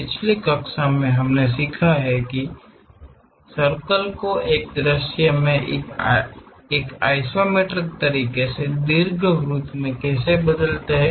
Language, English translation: Hindi, In the last class, we have learnt how to really transform this circle in one view into ellipse in the isometric way